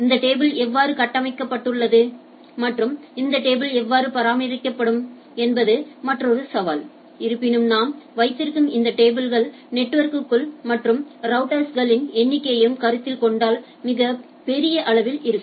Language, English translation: Tamil, And this how this table will be constructed how this table will be maintained there is another challenge, but nevertheless having this table will be pretty large considering even considering the number of networks and routers and in the our internetworking